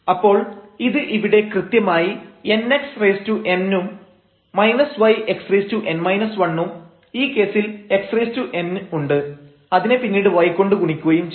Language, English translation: Malayalam, So, this is exactly here n x power n and minus y x power n minus 1 and in this case we have x power n and then we have multiply it here by y term